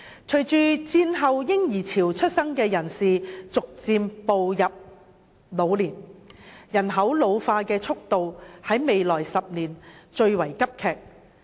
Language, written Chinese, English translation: Cantonese, 隨着在戰後嬰兒潮出生的人士逐漸步入老年，人口老化的速度在未來10年會最為急劇。, As the post - war baby boomers are gradually approaching old age the pace of ageing of our population will be particularly rapid in the next decade